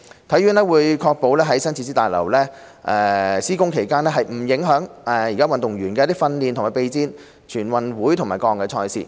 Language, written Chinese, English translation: Cantonese, 體院會確保在新設施大樓施工期間，不會影響運動員的訓練和備戰全運會及各項賽事。, HKSI will ensure that athletes training and preparation for NG and various competitions will not be affected during the construction of the new facilities building